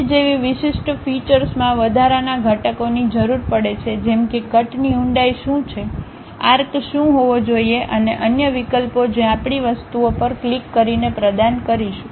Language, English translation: Gujarati, A specialized feature like cut requires additional components like what is the depth of cut, what should be the arc and other options we may have to provide by clicking the things